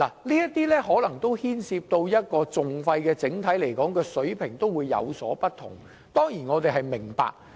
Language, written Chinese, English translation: Cantonese, 這些訴訟牽涉的訟費的整體水平有所不同，這點我們當然明白。, The overall level of litigation costs incurred in these proceedings may vary and we do understand this